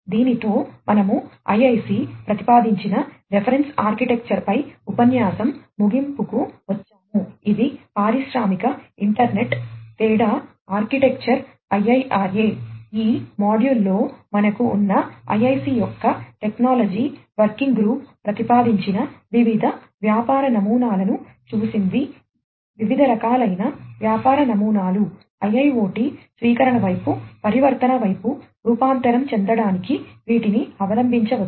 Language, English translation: Telugu, With this we come to an end of the lecture on the reference architecture that is proposed by the IIC it is the industrial internet difference architecture IIRA, proposed by the technology working group of the IIC we have in this module looked at the different business models the different types of business models, which could be adopted to transform towards the transform towards IIoT adoption, and so on